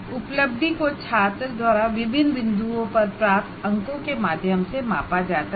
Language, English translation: Hindi, We measure the outcome attainment is measured through the marks the student has scored at various points